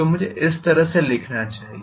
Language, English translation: Hindi, So I should be able to write it like this